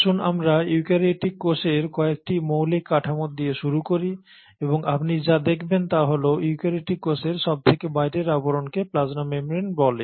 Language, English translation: Bengali, So let us start with some of the basic structures of a eukaryotic cell and what you find is the outermost covering of the eukaryotic cell is what you call as the plasma membrane